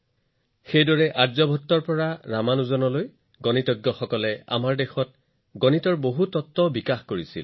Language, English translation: Assamese, Similarly, from mathematicians Aryabhatta to Ramanujan, there has been work on many principles of mathematics here